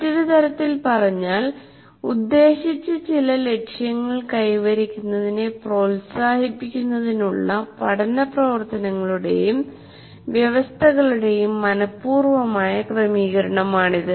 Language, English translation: Malayalam, Or another way of stating, it is the deliberate arrangement of learning activities and conditions to promote the attainment of some intended goal